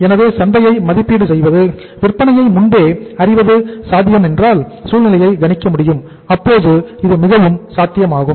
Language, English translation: Tamil, So if that is possible and we can estimate the market, we can forecast the sales, we can forecast the coming situation well then it is quite possible